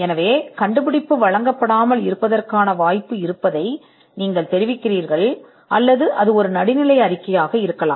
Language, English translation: Tamil, So, you communicate that there is a possibility that the invention may not be granted, or it could be a neutral report